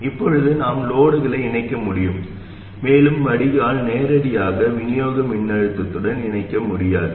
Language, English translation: Tamil, Now we have to be able to connect the load, okay, and the drain cannot be connected to the supply voltage directly